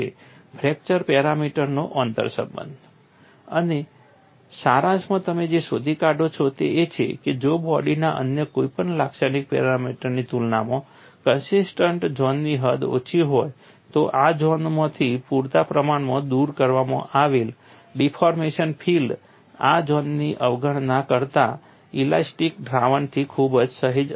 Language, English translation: Gujarati, And in summary what you find is, if the extent of the cohesive zone is small compared the any other characteristic dimension of the body, then sufficiently removed from these zones the deformation field will differ only very slightly from the elastic solution that ignores these zones